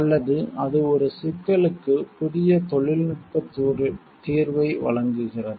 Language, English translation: Tamil, Or that offers a new technical solution to a problem